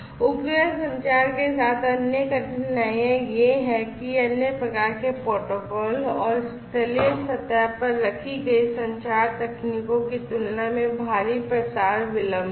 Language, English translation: Hindi, Other difficulties are that there is huge propagation delay compared to the other types of protocols and the communication technologies that are in place in on the terrestrial surface